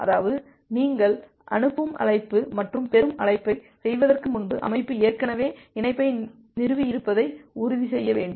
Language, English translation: Tamil, That means, before you have made a send call and a receive call, you need to ensure that well the system has already established the connection